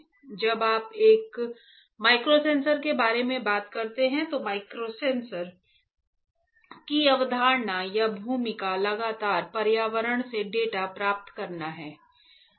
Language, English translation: Hindi, Now when you talk about microsensors the concept or the role of the microsensor is to constantly get the data from the environment